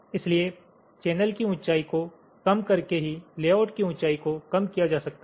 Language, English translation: Hindi, so the height of the layout can be minimized only by minimizing the channel height